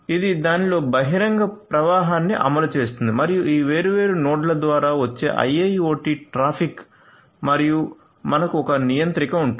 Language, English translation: Telugu, So, which implements the open flow in it and we are going to have a IIoT traffic coming through any of these different nodes and then we will have a controller right